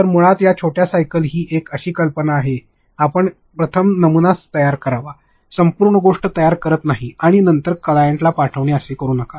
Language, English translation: Marathi, So, basically these are short cycles the idea is that you first create prototypes, do not go into creating the entire thing and then sending it to the client do not do that